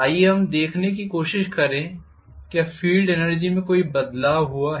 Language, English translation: Hindi, Let us try to look at whether there is any change in the field energy